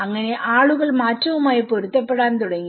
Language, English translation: Malayalam, So in that way, people started adapting to the change